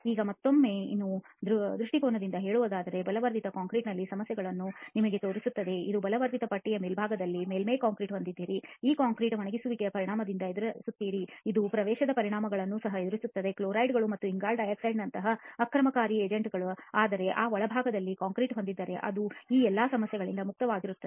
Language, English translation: Kannada, Now again just to put this in perspective just showing you the problem in reinforced concrete you have the surface concrete on top of the reinforcing bar, this concrete is the one which is facing the effects of drying, it is also facing the effects of ingress of aggressive agents like chlorides and carbon di oxide okay, whereas you have concrete in the interior which is relatively free from all these problems